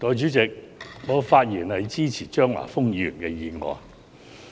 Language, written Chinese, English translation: Cantonese, 代理主席，我發言支持張華峰議員的議案。, Deputy President I speak in support of Mr Christopher CHEUNGs motion